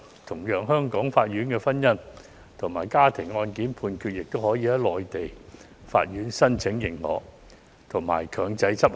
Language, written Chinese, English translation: Cantonese, 同樣地，香港法院的婚姻或家庭案件判決，亦可在向內地法院申請認可後強制執行。, Similarly judgments given by Hong Kong courts in matrimonial or family cases will be enforceable upon application to Mainland courts for recognition